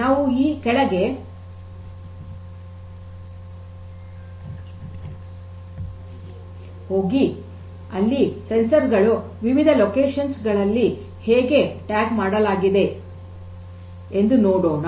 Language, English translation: Kannada, So, let us go downstairs and there we can see that how these sensors located at different places are tagged in this thing